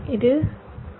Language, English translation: Tamil, this is t